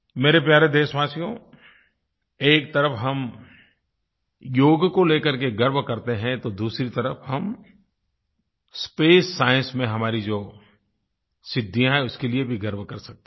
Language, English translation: Hindi, My dear countrymen, on the one hand, we take pride in Yoga, on the other we can also take pride in our achievements in space science